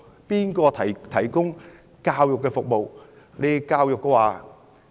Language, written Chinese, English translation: Cantonese, 誰來提供教育服務？, Who will provide education service?